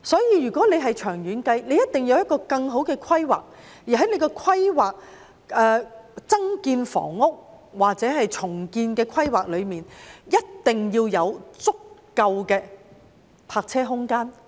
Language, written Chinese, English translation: Cantonese, 因此，長遠而言，一定要有更好的規劃，而在規劃增建房屋或進行重建時，一定要包括足夠的泊車空間。, For this reason there must be better planning in the long run . When formulating plans for additional housing supply or redevelopment sufficient parking spaces must be included